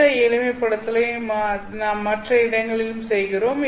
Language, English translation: Tamil, We do this simplification in other places as well